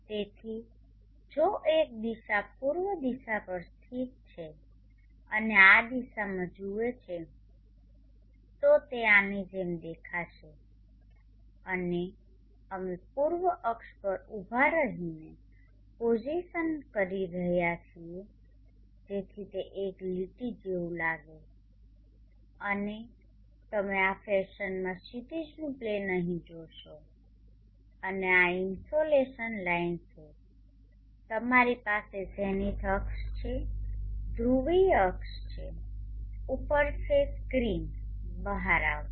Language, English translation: Gujarati, So if one positions on the east axis and looks in this direction so it will appear as though like this and we are positing standing on the east axis so it looks like a line, here and you see the horizon plane in this fashion here and this is the insulation line you have the zenith axis the polar axis is right up the meridian meridional axis is along this line, the east of the horizon and the east of the meridional axis will appear like a point here it is in that turning out of the screen